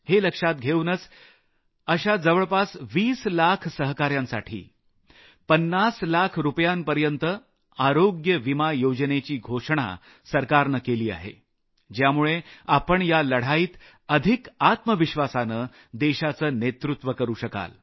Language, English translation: Marathi, Keeping that in mind , for around 20 lakhs colleagues from these fields, the government has announced a health insurance cover of upto Rs 50 lakhs, so that in this battle, you can lead the country with greater self confidence